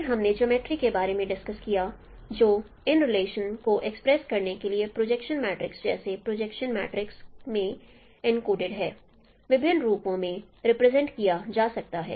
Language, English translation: Hindi, Then we discussed about the geometry which is encoded in a projection matrix like projection matrices can be represented in different forms to express these relations